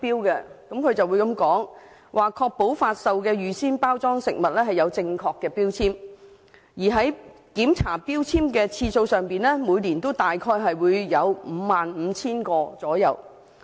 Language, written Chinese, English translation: Cantonese, 署方曾表示會確保發售的預先包裝食物有正確的標籤，而在檢查標籤的次數上，每年大約會有 55,000 個。, According to such objectives FEHD will ensure that pre - packaged food products for sale will be provided with factually correct food labels and will check the food labels of approximately 55 000 pre - packaged food products every year